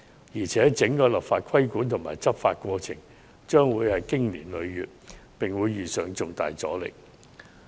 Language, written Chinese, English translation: Cantonese, 再者，整個立法規管和執法過程勢將經年累月，並會遇上重大阻力。, Moreover the entire process of enactment and enforcement of the regulation will definitely take years and meet with strong resistance